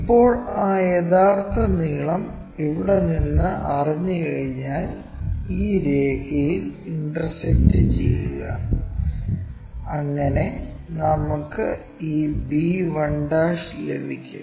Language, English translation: Malayalam, Now, once that true length is known from here intersect this line so that we will get this b1'